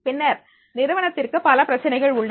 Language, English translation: Tamil, Then organizations is having the number of problems